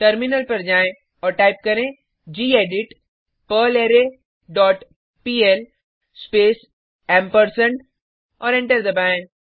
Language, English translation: Hindi, Switch to terminal and type gedit perlArray dot pl space and press Enter